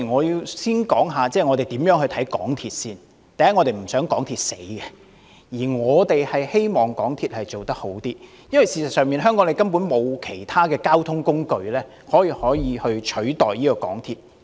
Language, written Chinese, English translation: Cantonese, 首先，我們不想港鐵公司不濟，反而希望該公司做好一點，皆因香港沒有其他交通工具可以取代港鐵。, For starters instead of delighting in seeing MTRCL flounder we in fact hope the corporation will fare better as there are no other modes of transport in Hong Kong that can replace MTR